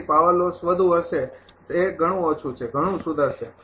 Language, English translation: Gujarati, So, power loss will be higher it is much smaller much improved